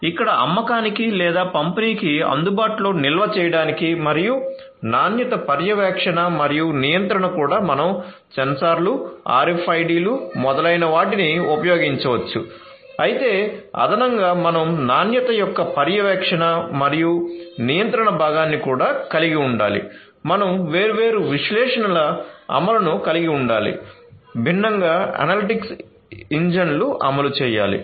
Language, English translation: Telugu, So, stocking in and stocking out and quality monitoring and control here also you could use the sensors RFIDs etcetera, but additionally you could you should also have particularly for the monitoring and control part of quality, you should also have the implementation of different analytics, so different analytics engines should be implemented